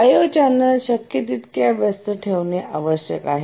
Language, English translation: Marathi, O channels need to be kept busy as possible